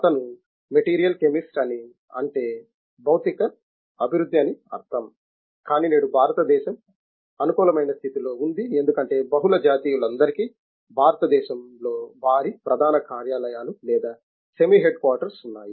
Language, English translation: Telugu, He he is a material chemist means a material development, but today India is in a favorable position because all multi nationals have got their head quarters or semi head quarters in India